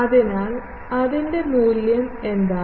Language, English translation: Malayalam, So, and what is its value